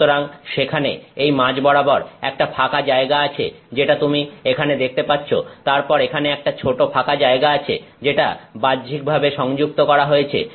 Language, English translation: Bengali, So, there is an opening in the middle which you can see here, then there is a small opening here which is connected externally